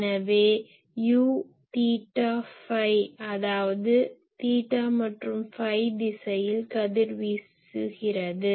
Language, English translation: Tamil, So, U , theta and phi ; that means, it is the power that is radiating in theta phi direction